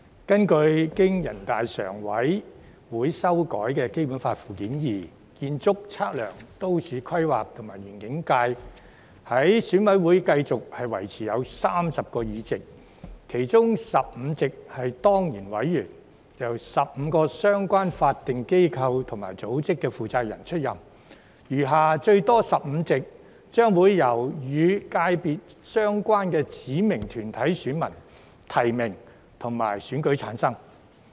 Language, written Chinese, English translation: Cantonese, 根據經全國人民代表大會常務委員會修改的《基本法》附件二，建測規園界在選委會繼續維持有30個議席，其中15席是當然委員，由15個相關法定機構及組織負責人出任；餘下最多15席，將會由與界別相關的指明團體選民提名及選舉產生。, According to Annex II to the Basic Law amended by the Standing Committee of the National Peoples Congress the ASPL subsector will be maintained at 30 seats with 15 seats returned by ex - officio members which will be filled by the responsible persons of the 15 relevant statutory bodies and organizations and the remaining seats 15 seats at maximum will be returned by nomination by electors of specified bodies of the relevant subsector and election